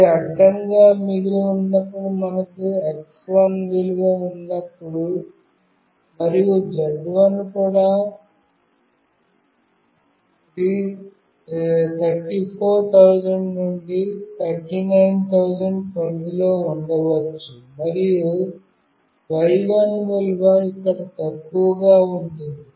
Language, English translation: Telugu, When it is horizontally left, when we have the value of x1, and of course z1 also we can see in the range of 34000 to 39000, and y1 value is less here